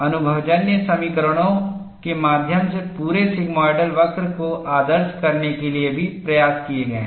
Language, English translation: Hindi, Efforts have also been made to model the entire sigmoidal curve through empirical equations